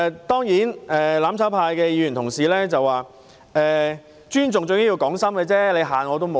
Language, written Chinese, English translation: Cantonese, 當然，"攬炒派"的議員又指出，尊重最重要是講心，嚇人沒有用。, Certainly Members from the mutual destruction camp have further said that when it comes to respect it is sincerity which matters most and there is no use scaring people